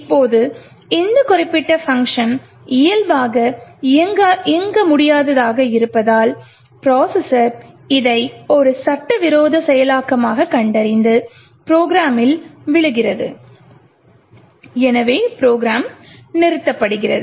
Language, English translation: Tamil, Now since this particular function by default would have its stack as non executable therefore the processor detects this as an illegal execution being made and falls the program and therefore the program terminates